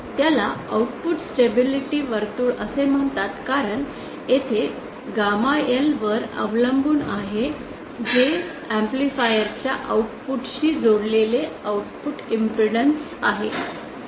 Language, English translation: Marathi, It is called output stability circle because here the circle is dependent on gamma L which is the output impedance connected to the output of the amplifier